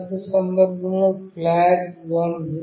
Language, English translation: Telugu, In the first case the flag is 1